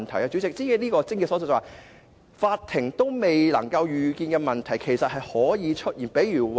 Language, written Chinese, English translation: Cantonese, 主席，這便是癥結所在，連法庭也未能預見的問題，其實是有可能出現的。, This is the crux of the problem President . Even the Court may have not foreseen such problems but they may actually arise